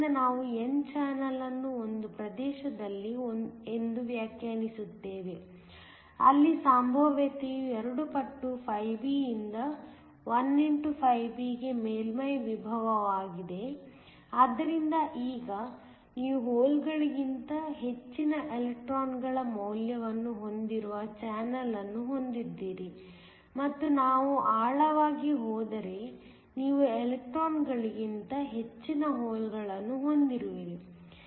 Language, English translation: Kannada, So, we define the n channel to be in a region, where the potential goes from two times φb which is the surface potential to 1xφb, so that now you have a channel which has a higher value of electrons than holes and if we go deeper you have a higher concentration of holes than electrons